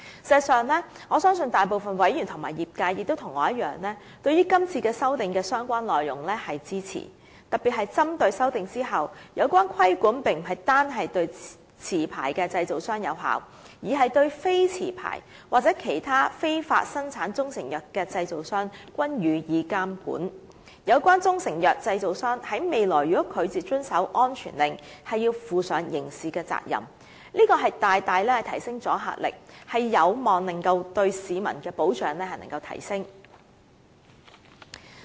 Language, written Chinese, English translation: Cantonese, 事實上，我相信大部分委員和業界人士與我一樣，對這次修訂的相關內容是支持的，特別是針對在修訂後，有關規管並不是單單對持牌製造商有效，而是對非持牌或其他非法生產中成藥的製造商均施以監管，有關中成藥製造商在未來如拒絕遵守安全令，須負上刑事責任，這大大提升阻嚇力，有望提升對市民的保障。, In fact I believe that just like me the great majority of Members and industry members support the amendments of this exercise . In particular after making the amendments the relevant regulatory regime will cover not just licensed manufacturers but also unlicensed or other illegal manufacturers of proprietary Chinese medicines . In the future if the proprietary Chinese medicine manufacturer concerned refuses to comply with a CMSO it has to assume criminal liability so the deterrent effect is significantly enhanced and it is hoped that the protection for the public can be enhanced